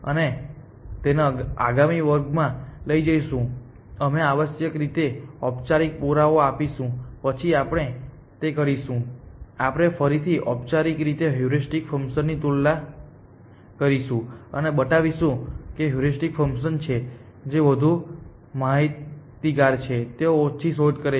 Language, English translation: Gujarati, And we will take this up in the next class we will do a formal proof of this essentially after we do that we will compare heuristic functions again formally and show that heuristic functions are which are more informed they do lesser search